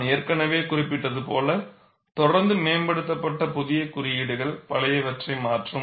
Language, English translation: Tamil, As I had already mentioned, the codes are continuously improved and new codes replace the old ones